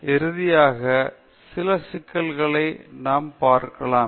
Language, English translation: Tamil, Then, finally, we will see the some of the issues as such